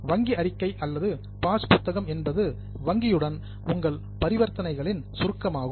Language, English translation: Tamil, Bank statement or a passbook is a summary of your transactions with the bank